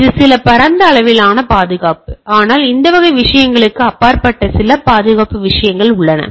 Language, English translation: Tamil, It is some broad level security, but there are some security things which are beyond this type of things